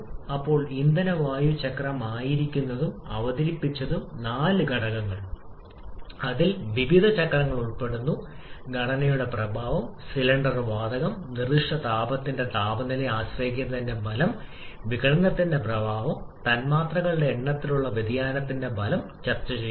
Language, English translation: Malayalam, Then the fuel air cycle was introduced and four factors, which comprises of various cycles: effect of composition of cylinder gas, effect of temperature dependence of specific heat, effect of dissociation and the effect of variation in number of molecules have been discussed